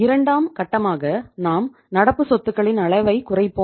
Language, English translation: Tamil, Then we will increase the level of current assets